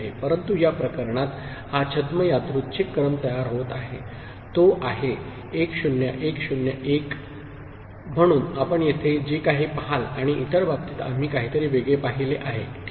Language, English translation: Marathi, But in this case this pseudo random sequence that is getting generated is 1 0 1 0 1… so, whatever you see over here and for the other case we saw something else, ok